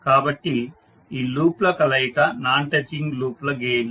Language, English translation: Telugu, So the combination of these loops will be the non touching loops gains